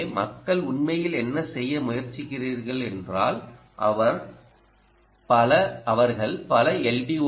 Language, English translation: Tamil, so one way what people actually try to do is they they use multiple